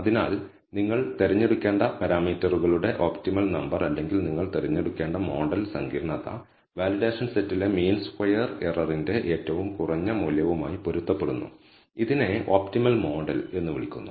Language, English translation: Malayalam, So, the optimal number of parameters you should choose or the model complexity you should choose, corresponds to the minimum value of the mean squared error on the validation set and this is called the optimal model